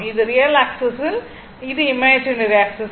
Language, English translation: Tamil, This is real axis, this is imaginary axis, right